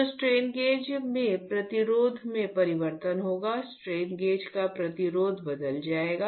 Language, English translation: Hindi, So, there will be change in the resistance in the strain gauge, resistance of the strain gauge would change